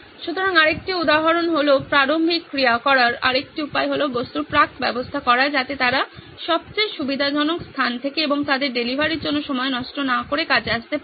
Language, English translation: Bengali, So the another example or another way to do preliminary action is pre arrange objects such that they can come into action from the most convenient place and without losing time for their delivery